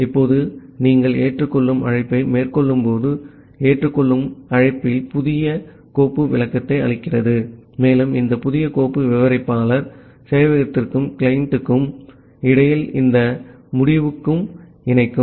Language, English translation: Tamil, Now, here also while you are making the accept call, in the accept call, it returns new file descriptor and this new file descriptor will initiate this end to end connection, between server and the client